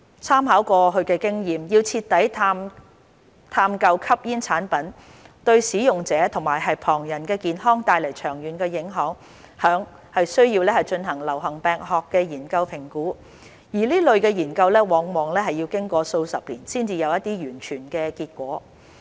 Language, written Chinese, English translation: Cantonese, 參考過去經驗，要徹底探究吸煙產品對使用者和旁人的健康帶來的長遠影響，須進行流行病學研究評估，而這類研究往往要經過數十年才有完全結果。, Based on past experience the long - term health effects of smoking products to users and bystanders need to be assessed by epidemiological studies the full results of which would not be available for decades